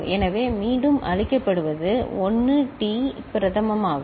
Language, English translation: Tamil, So, what is fed back is 1 T prime